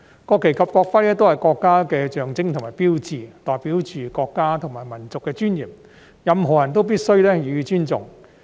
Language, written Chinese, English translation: Cantonese, 國旗及國徽均是國家的象徵和標誌，代表着國家和民族的尊嚴，任何人都必須予以尊重。, As the symbol and hallmark of our country both the national flag and national emblem represent the dignity of our country and our nation and should be respected by anyone